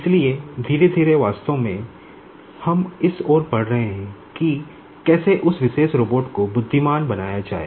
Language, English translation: Hindi, So, gradually actually we are moving towards that how to make that particular robot intelligent